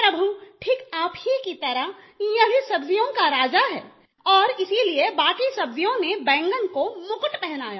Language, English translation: Hindi, Lord, just like you this too is the king of vegetables and that is why the rest of the vegetables have adorned it with a crown